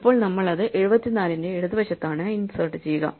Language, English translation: Malayalam, So, we out it to the left of 74